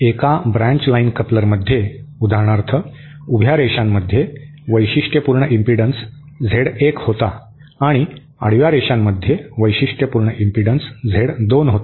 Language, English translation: Marathi, Even in a branch line coupler, for example the vertical lines had Z1, sorry the horizontal lines had the characteristic impedance Z 2 whereas the vertical lines had a characteristic impedance Z1, Z1 and Z2